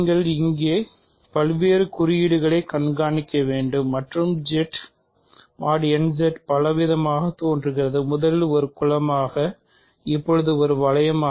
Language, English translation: Tamil, So, the you have to keep track of various notations here and Z mod n Z is appearing in several roles; first as a group, now as a ring